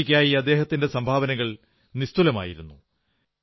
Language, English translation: Malayalam, His contribution to hockey was unparalleled